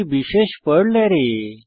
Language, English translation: Bengali, @ is a special Perl array